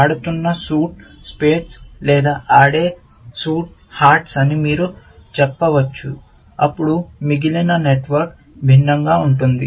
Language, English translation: Telugu, You could say if the suit being played is spades or the suit being played is hearts, then the rest of the network would be different